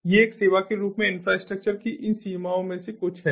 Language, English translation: Hindi, these are some of these limitations of infrastructure as a service